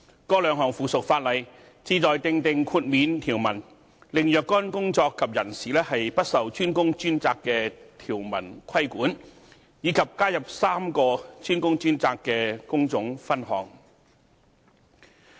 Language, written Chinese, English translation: Cantonese, 該兩項附屬法例旨在訂定豁免條文，令若干工作及人士不受"專工專責"的條文規管，以及加入3個"專工專責"的工種分項。, These two items of subsidiary legislation seek to introduce exemption provisions so as to exempt specified construction work and persons from the DWDS requirement as well as adding three DWDS trade divisions